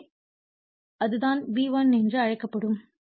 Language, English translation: Tamil, So, that is that will be your what you call V1